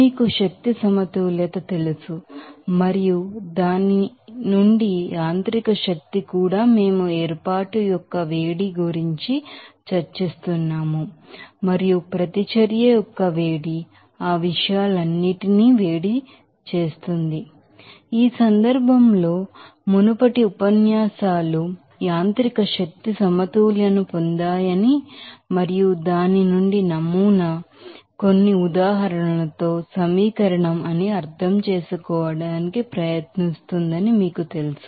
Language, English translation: Telugu, So, we have discussed that basic equation for that you know energy balance and from which you will be calculating that mechanical energy also we have discuss about the heat of formation and the heat of reaction heat up solution all those things, you know previous lectures in this case will try to you know that derived that mechanical energy balance and from whose will also try to understand that model is equation with some examples